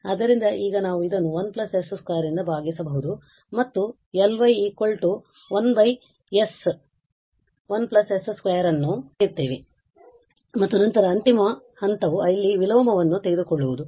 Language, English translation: Kannada, So, now we can divide this by 1 plus s square we get L y is equal to 1 over s 1 plus s square and then the final step is to take the inverse here